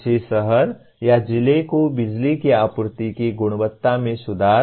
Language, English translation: Hindi, Improve the quality of power supply to a city or a district